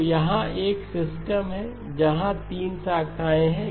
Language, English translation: Hindi, So here is a system where there are 3 branches